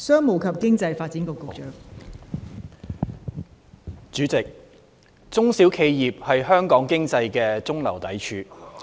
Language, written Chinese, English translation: Cantonese, 代理主席，中小企業是香港經濟的中流砥柱。, Deputy President small and medium enterprises SMEs are the mainstay of the Hong Kong economy